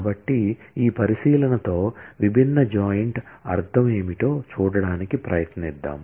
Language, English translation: Telugu, So, with this observation, let us start trying to see what different joint mean